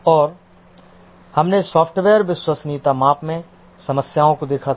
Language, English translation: Hindi, And we had seen the problems in software reliability measurement